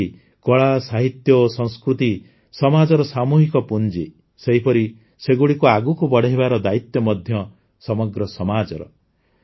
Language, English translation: Odia, Just as art, literature and culture are the collective capital of the society, in the same way, it is the responsibility of the whole society to take them forward